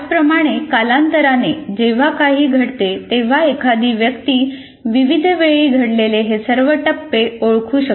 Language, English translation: Marathi, Similarly, when something happens over time, one can identify all the milestone as of at various times